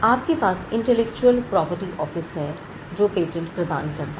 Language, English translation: Hindi, You have an office, the Intellectual Property Office which grants the patents